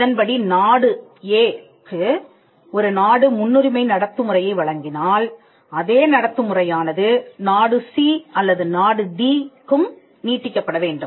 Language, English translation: Tamil, If country A offers a preferential treatment to country B then that treatment has to be extended to country C or country D as well